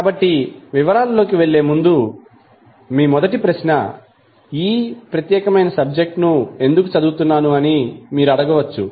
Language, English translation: Telugu, So before going into the detail first question you may be asking that why you want to study this particular subject